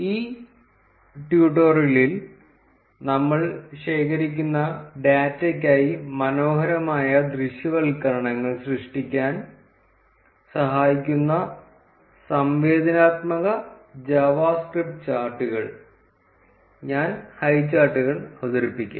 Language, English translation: Malayalam, In this tutorial, I will introduce highcharts the interactive java script charts which help in creating beautiful visualizations for the data that we have been collecting